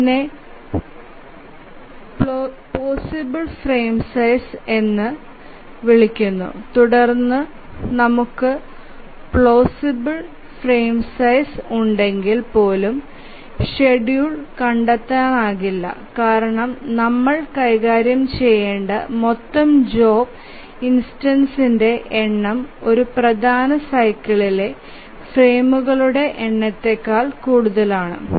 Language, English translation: Malayalam, So, this we call as plausible frame sizes and then even if we have a plausible frame size, it is not the case that schedule may be found, maybe because we have the total number of job instances to be handled is more than the number of frames in a major cycle